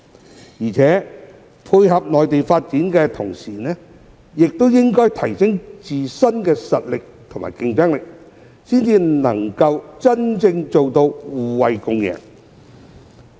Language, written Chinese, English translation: Cantonese, 此外，在配合內地發展的同時，香港也應提升自身的實力和競爭力，才能真正做到互惠共贏。, Besides while complementing the development of the Mainland Hong Kong should also enhance its own capabilities and competitiveness in order to truly achieve mutual benefits and create a win - win situation